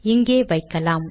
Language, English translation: Tamil, Put it here